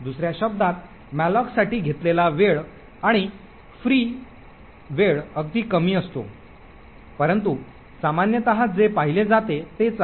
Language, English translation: Marathi, In other words the time taken for malloc and the time taken for free is extremely small however it is generally what is seen